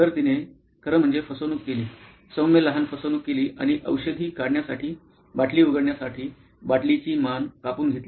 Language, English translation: Marathi, So she actually took a hacksaw, mild small hacksaw like this and cut the neck of the bottle to open the medicine bottle to get her medicines out